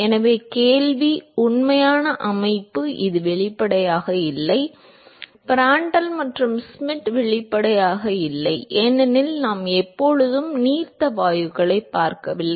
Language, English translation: Tamil, So, the question is real system are obviously not this case; Prandtl and Schmidt are obviously not 1 because we are not always looking at dilute gases